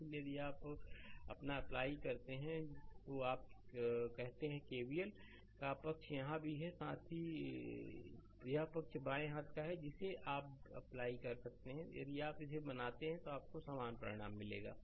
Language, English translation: Hindi, So, if you apply your what you call that KVL’ so side here also this side also left hand side also you can apply, you will get the identical result same result if you make it